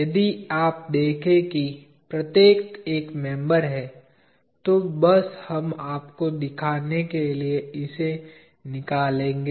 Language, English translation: Hindi, If you notice each is a member, just going to take it out to show you